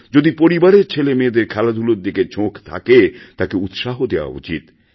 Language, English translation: Bengali, If the children in our family are interested in sports, they should be given opportunities